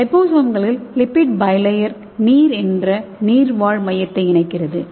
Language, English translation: Tamil, So here in liposome the lipid bilayer enclosing a aqueous core okay, here it is water